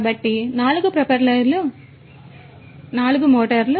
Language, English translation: Telugu, So, there are 4 propellers so, 4 motors